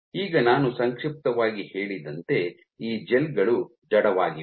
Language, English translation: Kannada, Now as I mentioned briefly that these gels are inert